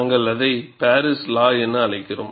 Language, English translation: Tamil, We call that as the Paris law